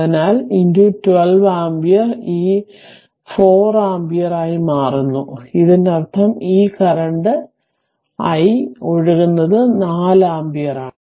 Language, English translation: Malayalam, So, into 12 ampere right; so it becomes 4 ampere; that means, this i current flowing through this i is 4 ampere right